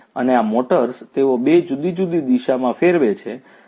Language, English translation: Gujarati, And, these motors they rotate in two different directions